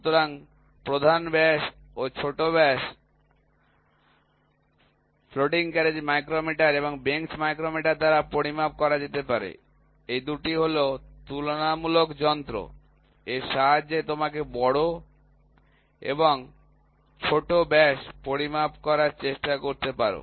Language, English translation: Bengali, So, major diameter, minor diameter can be measured by floating carriage micrometer and the bench micrometer, these 2 are comparing devices with this you can try to measure the major and minor diameter